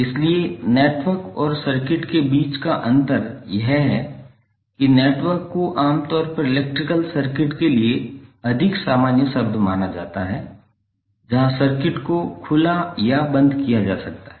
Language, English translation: Hindi, So the difference between network and circuit is that network is generally regarded as a more generic term for the electrical circuit, where the circuit can be open or closed